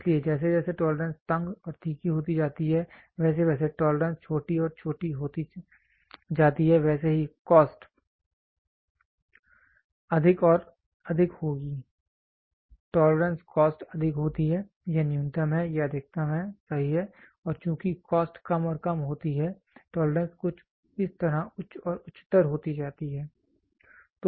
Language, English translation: Hindi, So as the tolerance goes tighter and tighter and tighter so as the tolerance goes smaller and smaller and smaller so, the cost will be higher and higher and higher, tolerance cost is higher, this is minimum, this is maximum, right and as the cost goes lower and lower and lower, the tolerance goes higher and higher and higher something like this